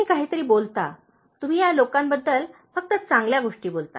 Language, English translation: Marathi, If at all, you say something you say only good things about these people